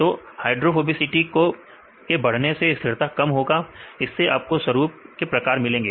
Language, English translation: Hindi, So, increase in hydrophobicity will decrease the stability right you get this type of patterns right